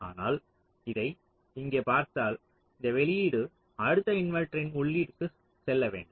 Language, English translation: Tamil, so this output has to go to the input of the next inverter